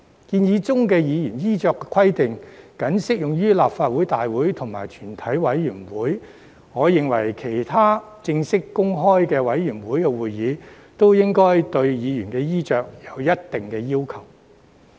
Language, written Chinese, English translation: Cantonese, 建議的議員衣飾規定僅適用於立法會大會及全體委員會，我認為其他正式和公開的委員會會議，亦應該對議員衣飾有一定的要求。, The proposed dress code for Members is only applicable to Legislative Council meetings and committee of the whole Council . In my view other formal and public committee meetings should also impose certain requirements on Members attire